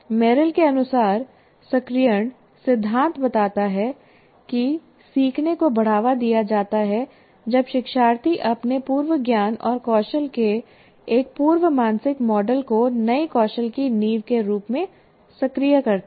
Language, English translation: Hindi, The activation principle, as Merrill states that learning is promoted when learners activate a prior mental model of their prior knowledge and skill as foundation for new skills